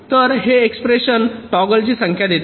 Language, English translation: Marathi, so this simple, this expression gives the number of toggle